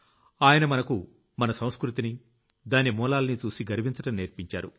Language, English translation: Telugu, He taught us to be proud of our culture and roots